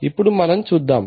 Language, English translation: Telugu, Now let us take a look at